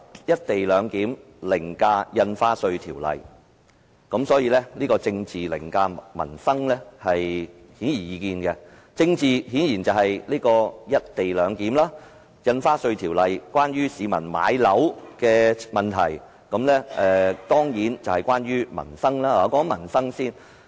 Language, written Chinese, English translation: Cantonese, "一地兩檢"凌駕《條例草案》，政治凌駕民生顯而易見，政治顯然就是"一地兩檢"，《條例草案》關乎市民買樓的問題，是民生問題。, Obviously the co - location arrangement overrides the Bill and politics overrides peoples livelihood . Politics obviously refers to the co - location arrangement and the Bill is a livelihood issue that concerns home ownership